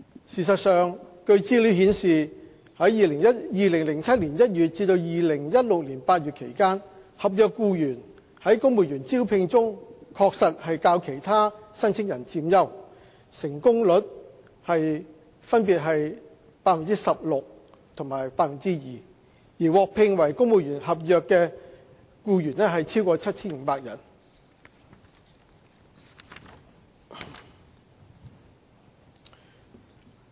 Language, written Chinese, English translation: Cantonese, 事實上據資料顯示，在2007年1月至2016年8月期間，合約僱員在公務員招聘中確實較其他申請人佔優，成功率分別約為 16% 及 2%， 而獲聘為公務員的合約僱員超過 7,500 人。, In fact according to statistics between January 2007 and August 2016 NCSC staff have an advantage over other applicants in the recruitment of civil servant with a success rate of 16 % and 2 % respectively . More than 7 500 NCSC staff were employed as civil servants